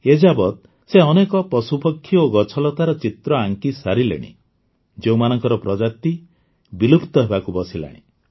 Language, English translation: Odia, Till now he has made paintings of dozens of such birds, animals, orchids, which are on the verge of extinction